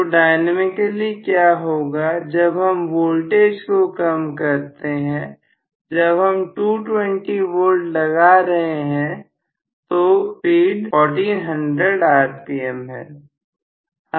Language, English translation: Hindi, So, what happens dynamically when I reduce the voltage, when I actually I am operating a 220 volt, let us say, the speed was, we said 1400 rpm